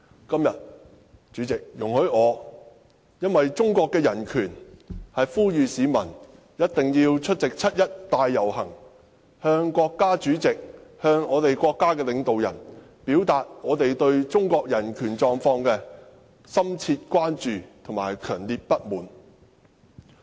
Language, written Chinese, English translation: Cantonese, 今天，為了中國的人權狀況，我呼籲市民一定要出席七一大遊行，向國家主席及國家領導人表達我們對中國人權狀況的深切關注和強烈不滿。, Today in view of the human rights situation in China I call upon members of the public to join the 1 July march so as to express to the State President and State leaders our deep concerns about and strong dissatisfaction with the human rights situation in China